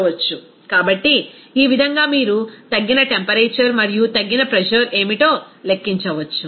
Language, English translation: Telugu, So, in this way, you can calculate what would be the reduced temperature and reduced pressure